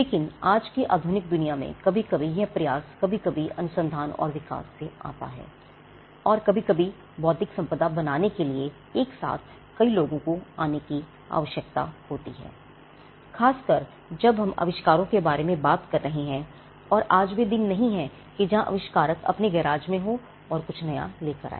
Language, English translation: Hindi, But in today’s the world in a modern world sometimes this effort comes from research and development sometimes and sometimes it requires many people coming together to create intellectual property right, especially when we are talking about inventions and today gone are the days where an inventor could be in his garage and come up with something new